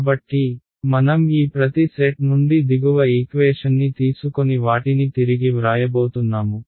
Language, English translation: Telugu, So, I am going to take the bottom equation from each of these sets and just rewrite them